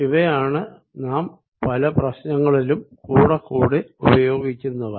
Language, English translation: Malayalam, these are the other ones that we use most often in in a many problems